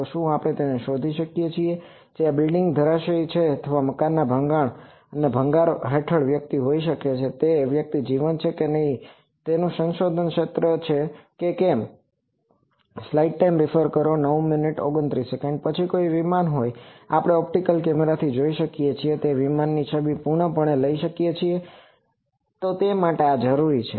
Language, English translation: Gujarati, So, can we detect that whether is where the some person is strapped or under debris of some building collapse, also whether the person is live or not that is an active area of research Then an aircraft can we fully take an image of that aircraft as we take from optical cameras, so for that this is required